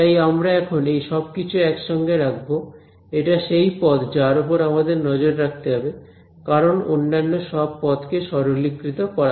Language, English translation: Bengali, So, now, we are going to put all of these chunks together this is that term we have to keep a bit of eye on right, because all other terms you simplified